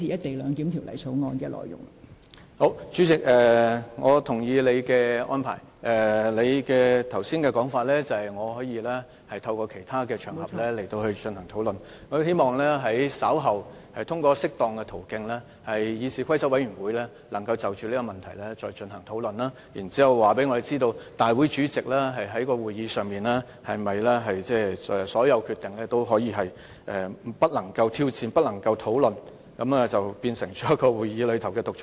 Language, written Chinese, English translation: Cantonese, 代理主席，我同意你的安排，你剛才說我可以在其他場合進行討論。我希望稍後通過適當的途徑，讓議事規則委員會能夠就這個問題再進行討論，然後告訴我們，立法會主席在會議上作出的所有決定是否都不能挑戰、不容討論，讓他變成會議內的獨裁者。, Deputy President I accept your arrangement . As you said just now that I can initiate discussions on other occasions I hope that through proper channels the Committee on Rules of Procedure will later hold discussions over this issue and tell us whether all decisions made by the President at the meeting shall not be challenged and discussed thus making him a tyrant in the legislature